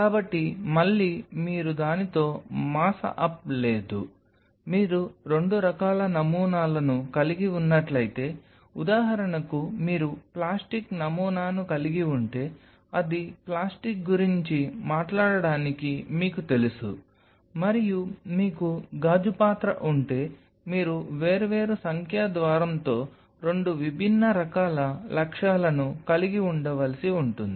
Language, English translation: Telugu, So, again you no mass up with it; if you have two kind of samples say for example, you have plastic sample you know that will be taking yourself on talk about plastic and you have a glass vessel, the you may need to have two different kind of objectives with different numerical aperture